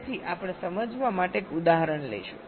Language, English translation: Gujarati, so we shall take an example to illustrate